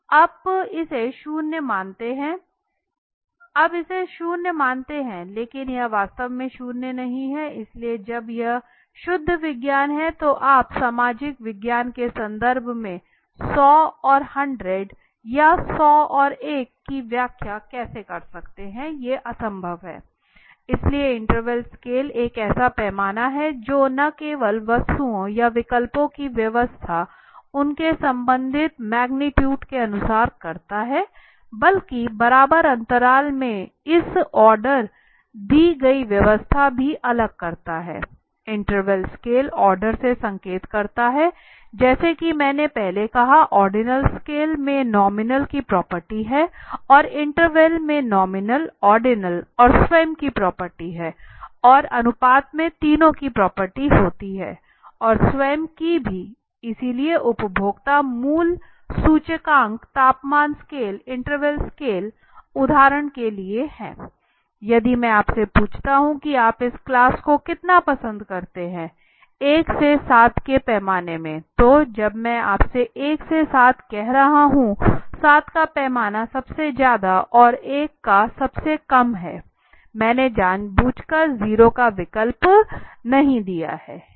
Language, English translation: Hindi, That you consider it zero but it is not actually zero right so and when that is the pure science how do you possibly explained 0 and 100 or 0 and 1 in terms of social science it is impossible right so an interval scale is a scale that not only arranges objects or alternatives according to their respective magnitudes but also distinguishes this ordered arrangement in equal intervals so the intervals scales indicate order as you ordinal as I said earlier the ordinal scale has the property of nominal and itself the intervals has the property of nominal ordinal and itself and ratios has the property of all the three and itself okay so consumer prices index temperature scale interval scales are for example if I ask you how much do you like this class for example in a scale of 1 to 7 so when I am saying the scale of 1 to 7, 7 being the most and 1 being let say the lowest I have not given an option of 0 deliberately